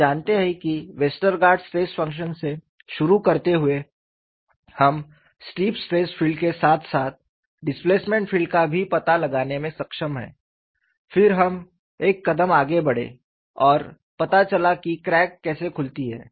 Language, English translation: Hindi, So, it is a very useful information; you know starting from Westergaard stress function, we have been able to find out the very near strip stress field as well as the displacement field, then we moved one step further and found out how the crack opens up